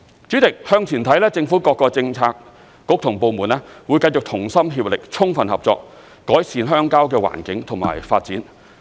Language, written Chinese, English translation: Cantonese, 主席，向前看，政府各個政策局和部門會繼續同心協力，充分合作，改善鄉郊的環境和發展。, President for the way forward various Policy Bureaux and government departments will continue to work concertedly and cooperate fully with each other to improve the rural environment and development